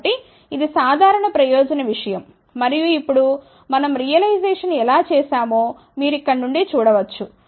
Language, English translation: Telugu, So, this is a general purpose thing and now you can see from here how we have done the realization